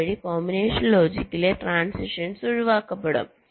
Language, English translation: Malayalam, thereby transitions in the combinational logic will be avoided